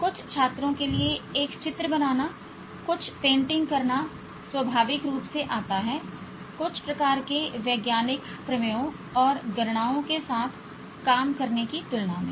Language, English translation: Hindi, For some students, drawing a picture, painting something, comes so naturally, then working out with some kind of scientific theorems and calculations